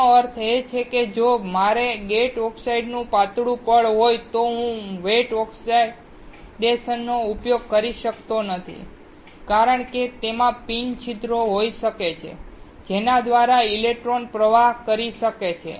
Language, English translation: Gujarati, That means, if I want to have a thin layer of gate oxide, then I cannot use wet oxidation because it may have the pin holes through which the electron can flow